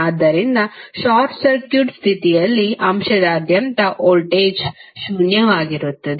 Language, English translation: Kannada, So, it means that under short circuit condition the voltage across the element would be zero